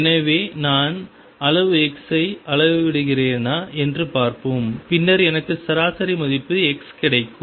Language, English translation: Tamil, So, let us see if I am making a measurement of quantity x then I do get an average value x